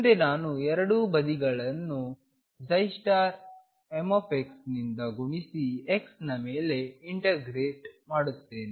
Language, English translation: Kannada, Next, let me multiply both sides by psi m star x and integrate over x